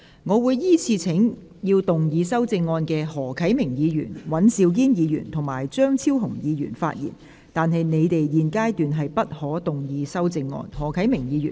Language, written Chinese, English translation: Cantonese, 我會依次請要動議修正案的何啟明議員、尹兆堅議員及張超雄議員發言，但他們在現階段不可動議修正案。, I will call upon Members who will move the amendments to speak in the following order Mr HO Kai - ming Mr Andrew WAN and Dr Fernando CHEUNG but they may not move their amendments at this stage